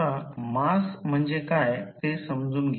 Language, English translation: Marathi, Now, first understand what is mass